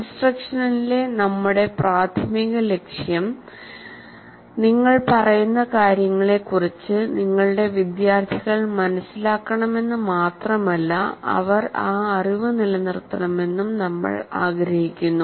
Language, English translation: Malayalam, The whole, our major purpose in instruction is we not only want our students to make sense of what you are instructing, but we want them to retain that particular knowledge